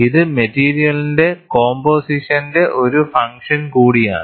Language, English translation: Malayalam, It is also a function of the composition of the material